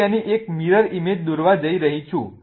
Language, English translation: Gujarati, Now let us draw its mirror image